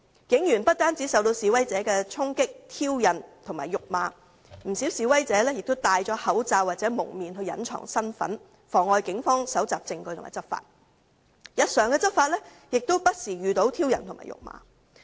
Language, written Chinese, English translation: Cantonese, 警員不單受到示威者的衝擊、挑釁和辱罵，不少示威者更戴上口罩或蒙面來隱藏身份，妨礙警方搜集證據和執法，而警方在日常執法上亦不時遇到挑釁和辱罵。, Not only were the police officers subjected to the charging provocations and verbal abuses of the protesters many protesters even wore masks or face guards to hide their identities and obstruct the Police in collecting evidence and enforcing the law . The Police have also encountered from time to time provocations and verbal abuses during routine law enforcement